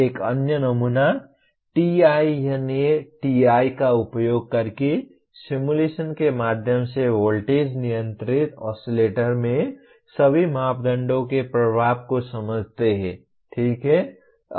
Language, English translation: Hindi, Another sample, understand the effect of all parameters in voltage controlled oscillators through simulation using TINA TI, okay